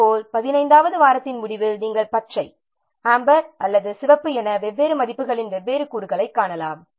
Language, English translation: Tamil, Similarly, at the end of 15, at the end of 15th week, you can see different components of different values, green, amber, or red